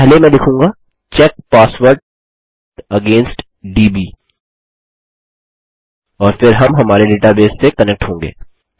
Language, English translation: Hindi, First I will say check password against db and then we have to connect to our database